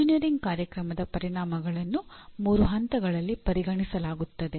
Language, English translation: Kannada, The outcomes of an engineering program are considered at three levels